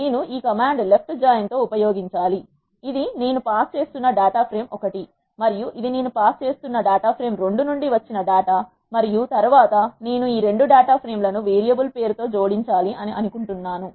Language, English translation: Telugu, I have to use this command left join, this is the data frame 1 I am passing in and this is the data from 2 I am passing in and then I want to join this 2 data frames by the variable name